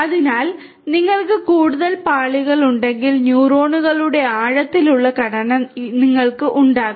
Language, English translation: Malayalam, So, the more number of layers you have, the deeper structure you are going to have of the neural neurons